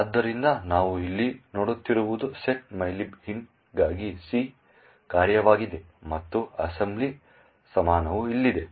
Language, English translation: Kannada, So, what we see over here is the C function for setmylib int and the assembly equivalent is here